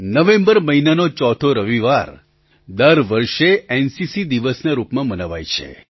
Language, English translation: Gujarati, As you know, every year, the fourth Sunday of the month of November is celebrated as NCC Day